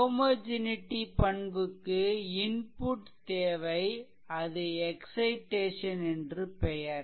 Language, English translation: Tamil, So, homogeneity property it requires that if the inputs it is called excitation